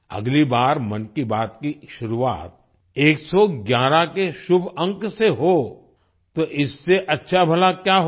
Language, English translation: Hindi, Next time 'Mann Ki Baat' starting with the auspicious number 111… what could be better than that